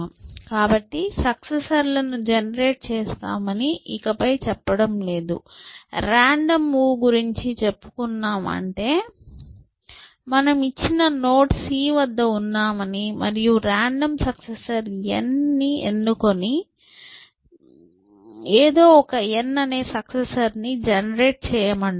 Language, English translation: Telugu, So, I am no longer saying that generate all the successors, I am just saying make a random move which means, you are at some given node c and choose a random successor n, just somehow generate one successor n